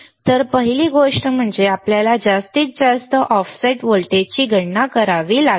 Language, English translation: Marathi, So, the first thing is we have to calculate the maximum offset voltage